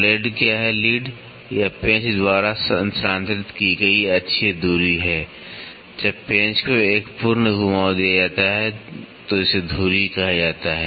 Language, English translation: Hindi, What is lead, it is the axial distance moved by the screw when the screw is given one complete rotation about it is axis is called as the lead